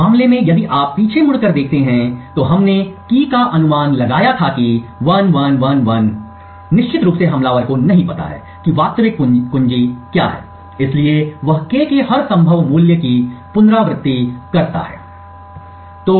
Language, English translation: Hindi, In this case if you look back, we had guessed the key as 1111 of course the attacker does not know what the actual key is, so he iterates to every possible value of K